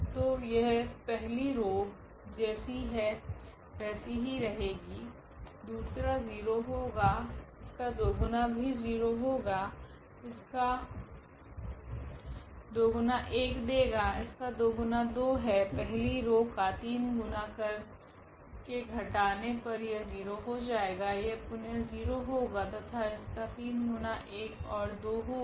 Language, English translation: Hindi, So, the first will first row will be as it is, the second one here will become 0, the two times of that this is also 0, two times this will give 1, here two times will get 2, here now the 3 times of the row 1 we are subtracting here so this will be 0, this will be again 0 and the 3 times this will be 1 and 3 times this will be 2